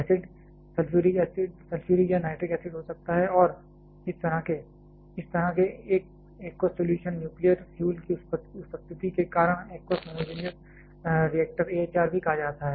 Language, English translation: Hindi, Acid can be sulphuric or nitric acids and this kind of, because of the presence of such an aqueous solution nuclear fuel there are also called aqueous homogenous reactor AHR